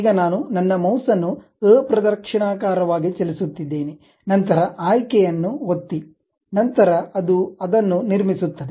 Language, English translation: Kannada, Now, I am moving my mouse in the counter clockwise direction, then click the option, then it construct it